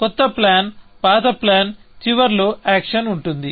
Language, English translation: Telugu, The new plan is an old plan with the action at the end